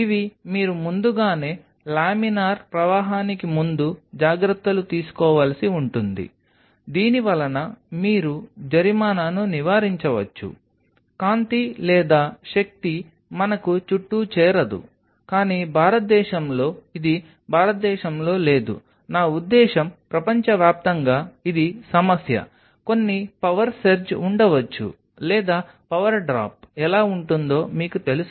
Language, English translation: Telugu, These are something which you have to take precautions well in advance laminar flow it you can avoid fine there is no light or no power we can get around, but in India this is not on the India, I mean across the world this is a problem there may be certain power serge or certain you know power drop how get around it